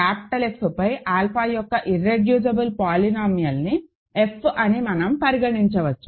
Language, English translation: Telugu, So, since alpha is algebraic over F, we can consider the irreducible polynomial of alpha over capital F, say f